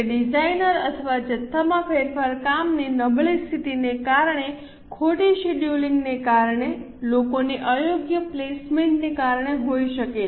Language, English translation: Gujarati, It can be because of change in the design or quantity, because of poor working condition, because of wrong scheduling, because of improper placement of people